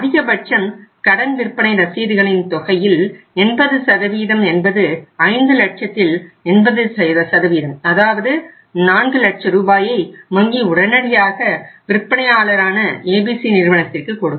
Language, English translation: Tamil, And maximum up to the 80% amount of that credit sale bills means 80% of the 5 lakhs that is 4 lakh rupees bank would immediately give to the firm to ABC who is a seller and they will retain the 20%